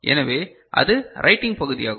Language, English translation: Tamil, So, that is the writing part of it